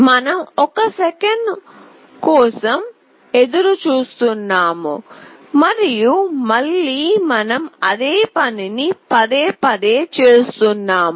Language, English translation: Telugu, We are waiting for 1 second and again we are doing the same thing repeatedly